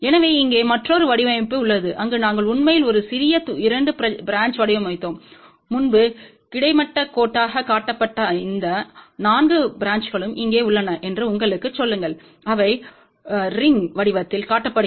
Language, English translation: Tamil, So, here is a another design, where we had actually designed a compact 2 branch, just to tell you that those 4 branches which were actually shown earlier as horizontal line, here they are shown in the form of the rings